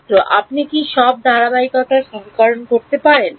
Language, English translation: Bengali, Can you just all the continuity equation